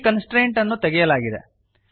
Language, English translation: Kannada, The constraint is removed